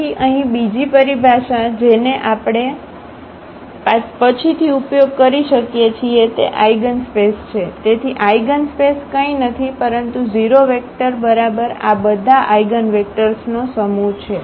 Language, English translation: Gujarati, So, another terminology here which we may use later that is eigenspace; so, eigenspace is nothing, but the set of all these eigenvectors including the 0 vector ok